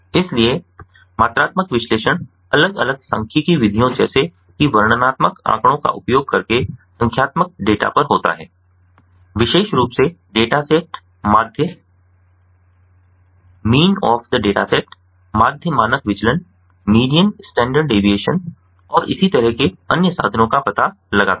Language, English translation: Hindi, so quantitative analysis is on the numeric data, using different statistical methods, such as descriptive statistics, more specifically, finding out the mean of the dataset, median standard deviation and so on